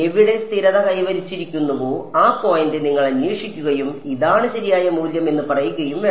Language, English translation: Malayalam, You should look for this point which has where it has stabilized and say that this is the correct value